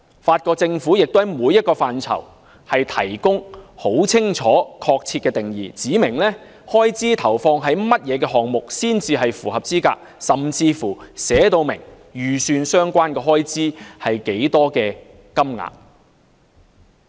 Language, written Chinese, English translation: Cantonese, 法國政府亦就每個範疇提供很清楚和確切的定義，指明開支投放於甚麼項目才算符合資格，甚至訂明預算相關開支是多少金額。, The French Government has also provided clear and exact definitions for each sector specifying the scope of items under which such expenditures can qualify and even set out the estimated amount of expenditures